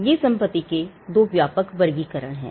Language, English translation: Hindi, These are two broad classifications of property